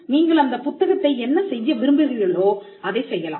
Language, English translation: Tamil, Now, you can do whatever you want with the book you can